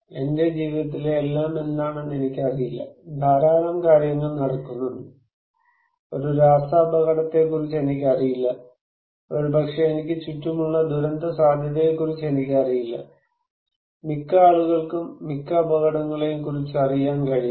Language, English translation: Malayalam, I do not know what everything in my life, there is so many things are happening, I do not know about a chemical risk maybe I know little about disaster risk around me, most people cannot be aware of the most of the dangers most of the time